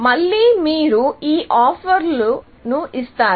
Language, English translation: Telugu, So, again, you give these offers